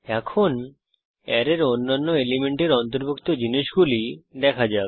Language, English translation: Bengali, Now what about the other elements of the array